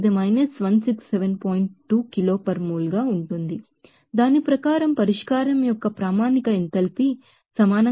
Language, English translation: Telugu, So, according to that his law that the standard enthalpy of solution to be equal to 240